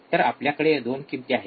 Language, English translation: Marathi, So, we have 2 values, right